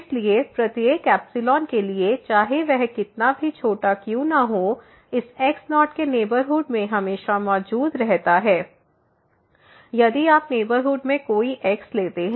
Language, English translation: Hindi, So, for every epsilon, however small, there always exist in neighborhood of this naught which is the case here and now, if you take any in this neighborhood